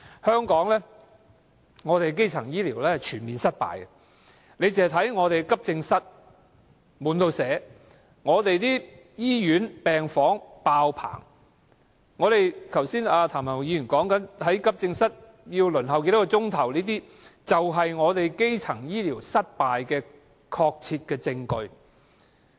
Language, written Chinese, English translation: Cantonese, 香港的基層醫療是全面失敗的，看看我們的急症室經常"滿瀉"，我們的醫院病房"爆棚"，剛才譚文豪議員提到在急症室要輪候多少小時，便是香港基層醫療失敗的確切證據。, Hong Kongs primary health care is a complete flop . Our accident and emergency AE departments are always flooded with patients and our hospital wards are often overloaded . Mr Jeremy TAMs mentioning of the hours long waiting time for AE services is a solid proof of the failure of the primary health care services in Hong Kong